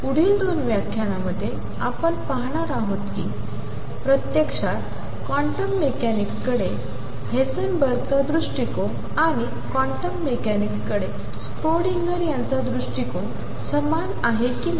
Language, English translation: Marathi, What we are going to do in the next 2 lectures is learned that actually Heisenberg’s approach to quantum mechanics and Schrodinger’s approach to quantum mechanics are one and the same thing